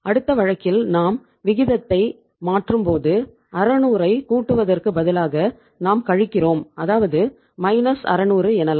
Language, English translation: Tamil, And now take the next case if you change the ratio again you now rather than adding up 600 here you minus do that is you you subtract the minus 600 right